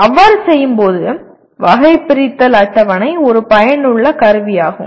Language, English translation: Tamil, And in doing so, the taxonomy table is a useful tool